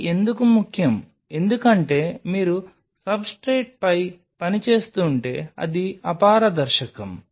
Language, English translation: Telugu, Why that is important because if you are working on substrate which are opaque